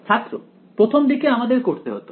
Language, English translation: Bengali, it was initially we have to